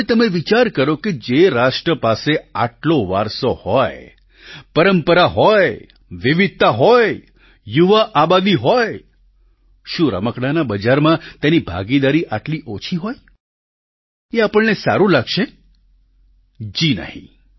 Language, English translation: Gujarati, Now, just spare a thought for a nation which has so much of heritage, tradition, variety, young population, will it feel good to have such little share in the toy market